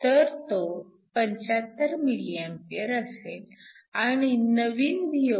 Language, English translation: Marathi, So, this will be 75 milliamps and the new Voc